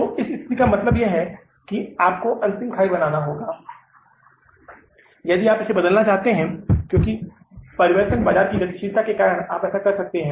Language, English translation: Hindi, So in this situation means you have to make the last ditch effort if you want to make it because of the changed market dynamics, you can do that